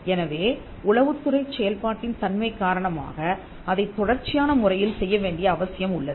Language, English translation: Tamil, So, because of the very nature of intelligence it has to be done on an ongoing basis